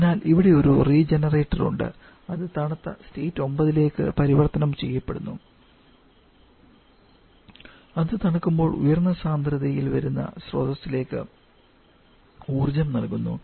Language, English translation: Malayalam, So, we have a regenerator it gets cooled to get converted to state 9 and while it is getting cooled we get energy to the others stream that was coming